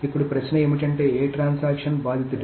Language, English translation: Telugu, Now the question is, which transaction is the victim